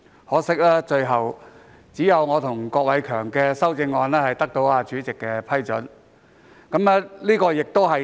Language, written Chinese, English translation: Cantonese, 可惜，只有我和郭偉强議員提出的修正案獲主席批准提出。, Unfortunately only the amendments proposed by Mr KWOK Wai - keung and I were approved by the President